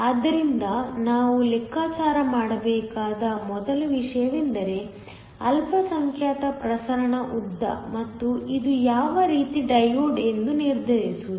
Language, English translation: Kannada, So, the first thing we need to calculate is the minority diffusion length and to determine what type of diode this is